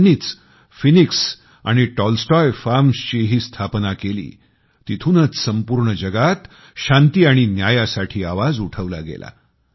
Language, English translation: Marathi, He also founded the Phoenix and Tolstoy Farms, from where the demand for peace and justice echoed to the whole world